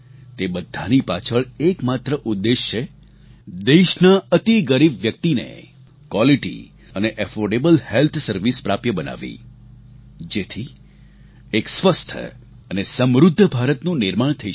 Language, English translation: Gujarati, The sole aim behind this step is ensuring availability of Quality & affordable health service to the poorest of the poor, so that a healthy & prosperous India comes into being